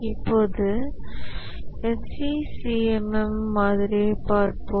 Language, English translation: Tamil, Now let's look at the SEI C C M model itself